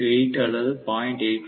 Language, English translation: Tamil, 8 or 0